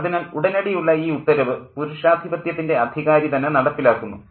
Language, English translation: Malayalam, So, immediate order is enforced by the patriarchal authority